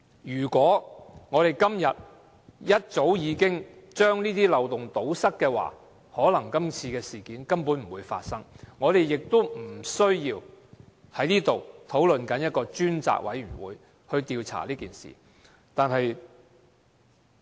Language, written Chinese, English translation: Cantonese, 如果早已把這些漏洞堵塞，可能今次事件根本不會發生，我們今天也不需要在這裏討論成立一個專責委員會調查這件事。, If these loopholes had been plugged up earlier this incident might not have happened and it would have been unnecessary for us in this Chamber to discuss setting up a select committee to inquire into the matter